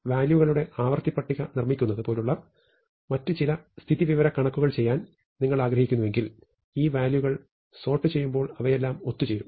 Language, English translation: Malayalam, If you want to do some other kind of statistical things, such as building a frequency table of values, when you sort these values they all come together, right